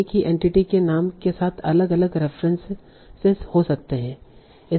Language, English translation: Hindi, With the same entity name there might be different reference